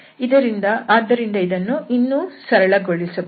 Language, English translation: Kannada, So, this can be further simplified